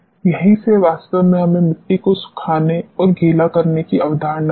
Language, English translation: Hindi, From this is where actually we got this concept of drying and wetting of the soil